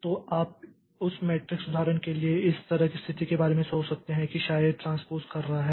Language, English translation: Hindi, So, you can think of the situation like this for that matrix example that we look into maybe A1 is doing that transpose